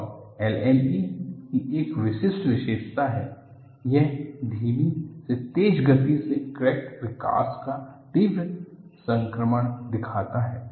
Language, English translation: Hindi, And there is a typical characteristic of LME, what it shows is, it shows a rapid transition from slow to rapid crack growth